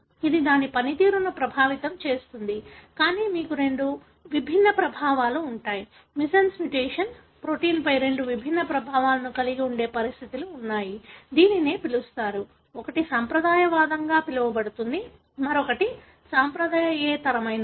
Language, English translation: Telugu, It would affect its function, but you do have conditions wherein you have two distinct effects, missense mutation having two different effects on the protein, which is called, one is called as conservative, other one is non conservative